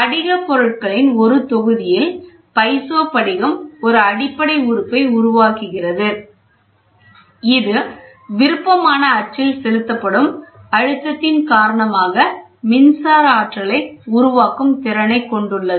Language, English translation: Tamil, A block of crystalline material forms a basic element in the piezo crystal; which has the capacity to generate an electric potential due to the applied pressure along the preferred axis